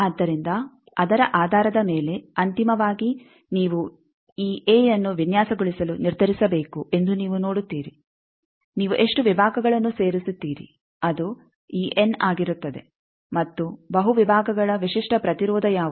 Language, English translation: Kannada, So, based on that finally, you see that you need to determine to design this and how many sections you will add that will be this n and also what are the characteristic impedance of the multiple sections